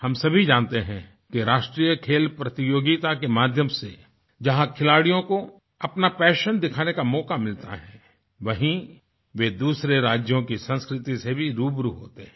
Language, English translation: Hindi, We all know that National Games is an arena, where players get a chance to display their passion besides becoming acquainted with the culture of other states